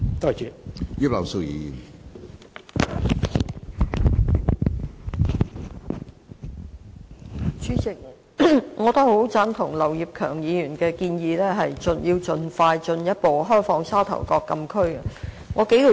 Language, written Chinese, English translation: Cantonese, 主席，我也很贊同劉業強議員提出盡快進一步開放沙頭角禁區的建議。, President I very much agree to Mr Kenneth LAUs proposal for further opening up the Sha Tau Kok Closed Area